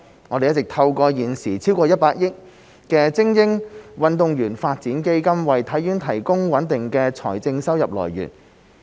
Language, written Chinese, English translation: Cantonese, 我們一直透過現時超過100億元的精英運動員發展基金為體院提供穩定的財政收入來源。, We have been providing through the Elite Athletes Development Fund a stable source of financial income for HKSI which amounts to more than 10 billion at present